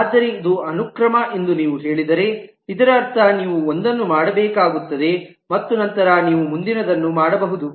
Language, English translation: Kannada, But if you say it is sequential then it necessarily means that you will have to do one and then you can do the next